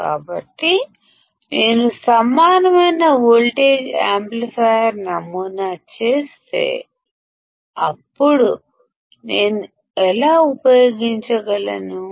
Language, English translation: Telugu, So, if I make an equivalent voltage amplifier model; then how can I use it